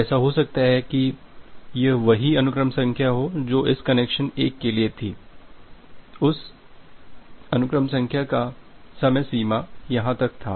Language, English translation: Hindi, So, it is like that this the same sequence number which was there for this connection 1, that sequence number had a lifetime up to here